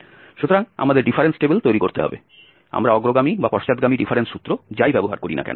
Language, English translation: Bengali, So, we have to construct the difference table, whether we use forward or backward difference formula